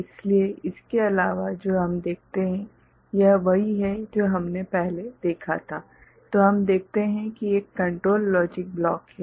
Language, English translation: Hindi, So, other than that what we see, this is what we had seen before, what we see that there is a control logic block